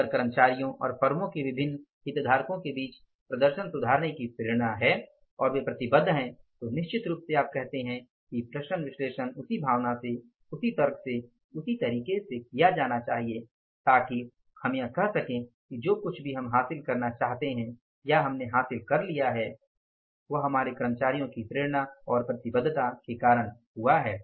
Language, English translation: Hindi, If there is a motivation among the employees and the different stakeholders of the firm to improve the performance and they are committed once then certainly you say that the variance analysis should be done in that spirit in logic, in that manner so that we can say that whatever we want you to achieve, we have achieved that and it has happened because of the motivation and commitment of our employees